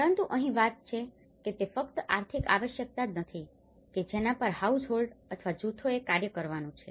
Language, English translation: Gujarati, But here, the thing is it is not just for the economic necessity where households or groups act upon